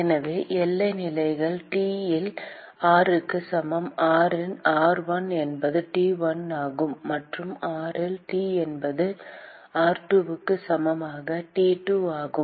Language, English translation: Tamil, So, the boundary conditions are T at r equal to r1 is T1; and T at r equal to r2 is T2